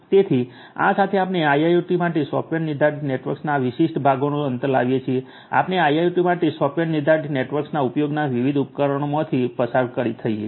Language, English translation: Gujarati, So, with this we come to an end of this particular part of the software defined networks for IIoT, we have gone through the different examples of the use of a software defined networks for IIoT the different requirements the challenges and so on